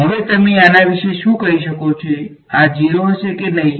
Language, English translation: Gujarati, Now what can you say about this whether will this be 0 or not